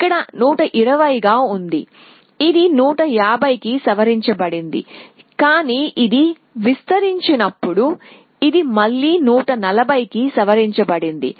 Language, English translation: Telugu, Here it was 120 it got revised to 150, but when this expanded this it got again revised to 140 essentially